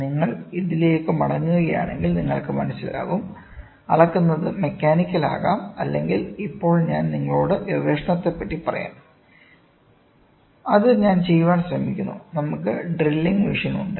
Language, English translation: Malayalam, If you go back to this, you will understand measured can be mechanical or see, now I will tell you the research which I am also trying to do, we have drilling machine